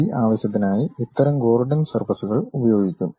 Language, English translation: Malayalam, For that purpose these kind of Gordon surfaces will be used